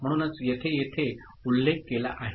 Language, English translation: Marathi, So, that is what has been mentioned over here